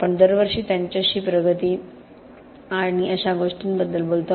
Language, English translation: Marathi, We sit them annually and talk to them about progress and things like that